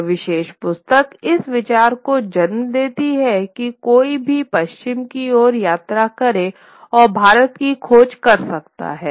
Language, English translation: Hindi, This particular book sort of led to this idea that one could probably travel westwards and find India